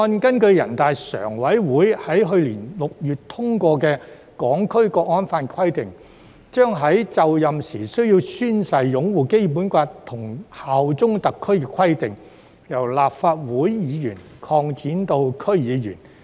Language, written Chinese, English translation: Cantonese, 根據人大常委會在去年6月通過的《香港國安法》的規定，《條例草案》將立法會議員在就任時須宣誓擁護《基本法》及效忠特區的規定，擴展至區議員。, According to the provisions of the National Security Law adopted by NPCSC in June last year the Bill has extended the oath - taking requirements on upholding the Basic Law and bearing allegiance to HKSAR for Members of the Legislative Council to members of the District Councils DCs upon assuming offices